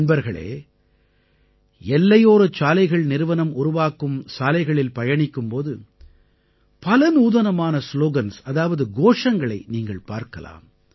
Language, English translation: Tamil, you must have noticed, passing through the roads that the Border Road Organization builds, one gets to see many innovative slogans